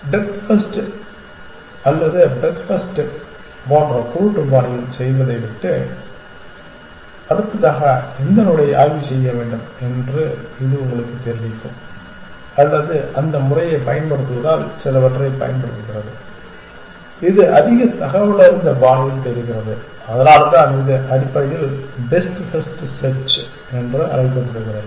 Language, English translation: Tamil, It will tell you which node to inspect next rather than do it in a blind fashion like depth first or breadth first or for that method d f I d was using it is using some it is doing search in a more informed fashion and that is why it is called best first search essentially